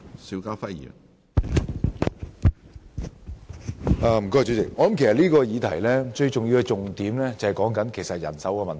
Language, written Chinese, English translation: Cantonese, 主席，其實這項議題最重要的一點就是人手問題。, President manpower is the most important factor in this issue